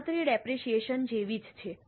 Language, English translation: Gujarati, This is just like depreciation